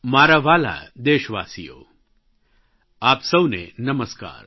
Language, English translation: Gujarati, My dear fellow citizens, Namaskar